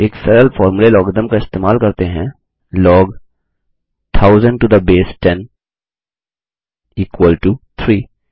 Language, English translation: Hindi, A simple formula using logarithm is Log 1000 to the base 10 is equal to 3